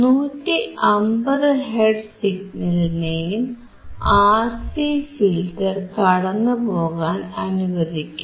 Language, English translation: Malayalam, So, for 150 also, it is allowing 150 hertz signal to also pass through the RC filter